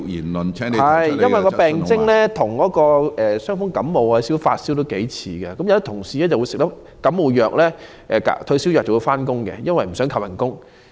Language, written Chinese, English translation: Cantonese, 麻疹的初期病徵與傷風、感冒和發燒頗為相似，有員工在服用感冒藥或退燒藥後便上班，因為不想被扣工資。, The early symptoms of measles are similar to those of common cold influenza and fever . Some employees go to work after taking drugs for influenza or antipyretics as they do not want to have their wages deducted